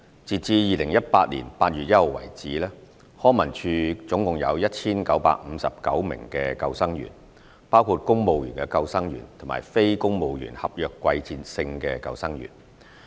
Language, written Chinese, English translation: Cantonese, 截至2018年8月1日為止，康文署總共有 1,959 名救生員，包括公務員救生員和非公務員合約季節性救生員。, As at 1 August 2018 there were 1 959 lifeguards in LCSD comprising civil service lifeguards and non - civil service contract NCSC seasonal lifeguards